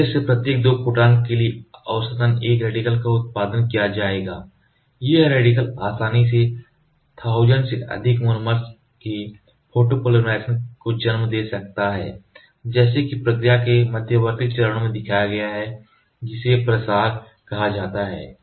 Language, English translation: Hindi, On an average for every 2 photons from the laser one radical will be produced, that radical can easily lead to the photopolymerization of over 1000 monomers as shown in the intermediate steps of the process called propagation